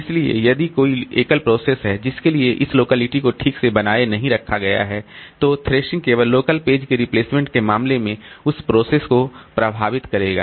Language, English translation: Hindi, So, if there is single process for which this locality is not maintained properly, then thrashing will affect only that process in case of local page replacement